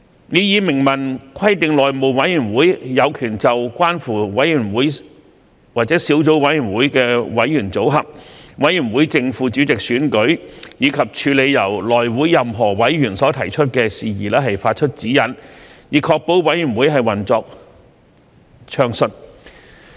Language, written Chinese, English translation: Cantonese, 擬議修訂明文規定內會有權就關乎委員會或小組委員會的委員組合、委員會正副主席選舉，以及處理由內會任何委員所提出的事宜，發出指引，以確保委員會運作暢順。, The proposed amendment provides explicitly that HC has the power to provide guidelines on matters relating to membership of committees or subcommittees election of the chairman and deputy chairman of a committee and on the handling of matters raised by any of its members in order to ensure the smooth operation of committees